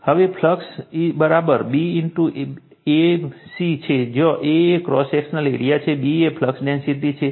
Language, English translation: Gujarati, Now, flux is equal to A into B; A is the cross sectional area, and B is the flux density